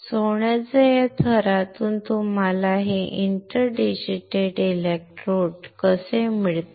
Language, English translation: Marathi, From that layer of gold how can you get this inter digitated electrodes